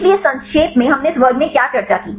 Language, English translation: Hindi, So, in summarizing what did we discuss in this class